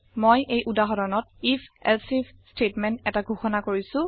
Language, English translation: Assamese, I have declared an if elsif statement in this example